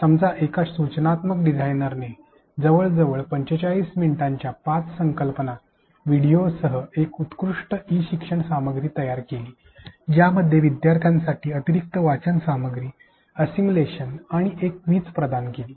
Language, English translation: Marathi, An instructional designer created an e learning content with 5 concept videos of around 45 minutes each provided additional reading material, assimilation and a quiz for learners